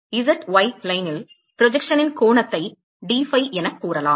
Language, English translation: Tamil, So, dphi the angle of the projection on the z y plain ok